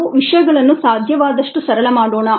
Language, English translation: Kannada, let us make things as simple as possible